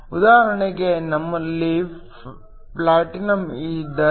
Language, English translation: Kannada, For example, if we have platinum